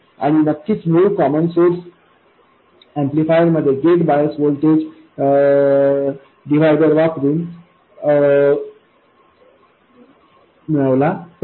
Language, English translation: Marathi, And of course the original common source amplifier, the gate bias was derived using a voltage divider